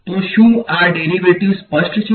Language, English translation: Gujarati, So, is this derivation clear